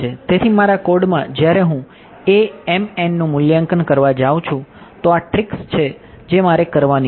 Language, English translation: Gujarati, So, in my code when I go to evaluate the A m n terms these are the tricks that I have to do